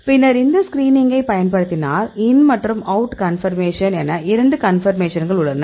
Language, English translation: Tamil, Then we use a screening, so here now we have the two conformation the in conformation out conformation